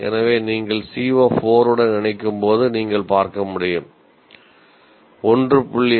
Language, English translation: Tamil, So as you can see when you combine with CO4 if you take 1